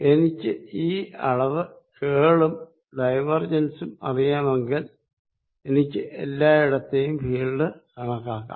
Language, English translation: Malayalam, If I know this quantity the curl and if I know the divergence I can calculate field everywhere